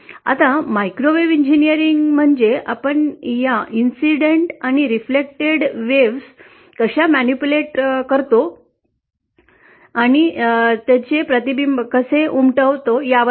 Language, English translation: Marathi, Now, microwave engineering is all about how we manipulate the incident and reflected waves